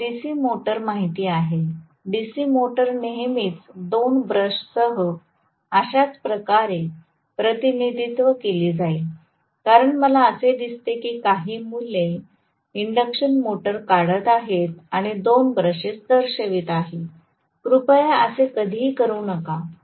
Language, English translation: Marathi, You guys know DC motor, DC motor is always represented like this with two brushes because I see still some kids drawing the induction motor and showing two brushes, please do not ever do that